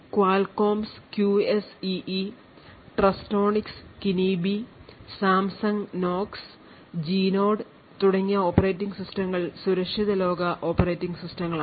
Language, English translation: Malayalam, So operating systems such as Qualcomm’s QSEE, Trustonics Kinibi, Samsung Knox, Genode etc are secure world operating systems